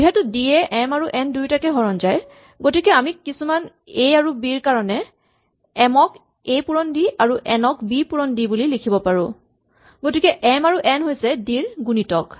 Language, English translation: Assamese, So if d divides both m and n, we can write m as a times d and n as b times d for some values a and b, so m is multiple of d and so is n